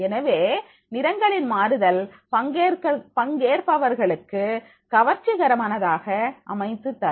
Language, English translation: Tamil, So, variation of colors that will make the more attractive to the participants